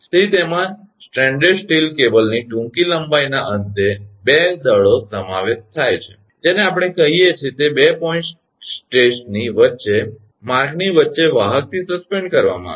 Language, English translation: Gujarati, So, it comprises of 2 masses right at the end of the short length of stranded steel cable, suspended from the conductor about midway between 2 point sets that we call